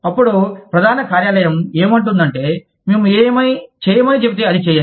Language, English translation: Telugu, Then, headquarters say, you just do, what we tell you to do